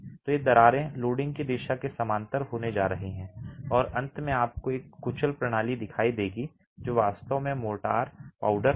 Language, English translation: Hindi, So these cracks are all going to be parallel to the direction of loading and at ultimate you would see a crushed system, the motor would actually be powder